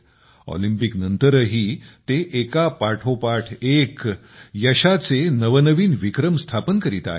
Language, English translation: Marathi, Even after the Olympics, he is setting new records of success, one after the other